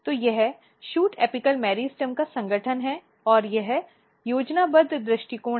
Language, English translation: Hindi, So, this is the organization of shoot apical meristem and this is again the schematic view